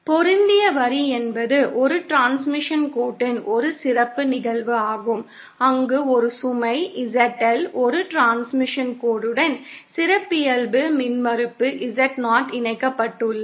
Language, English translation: Tamil, A matched line is a special case of transmission line where a load ZL with a transmission line having characteristic impedance Z0 is connected